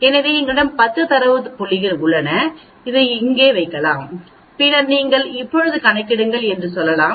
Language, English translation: Tamil, So we have 10 data points we can put this here and then we can say you calculate now